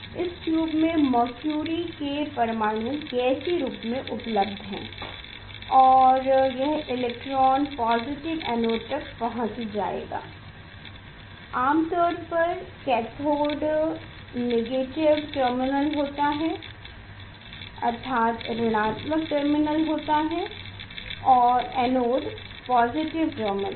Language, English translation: Hindi, Mercury atoms are available in gaseous form in this tube and this electron will reach to the will reach to the anode positive cathode is generally negative terminal and anode is positive terminal